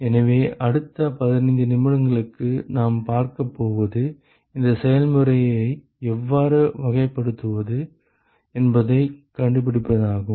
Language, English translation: Tamil, So, what we are going to see for the next 15 minutes or so is to find out how to characterize this process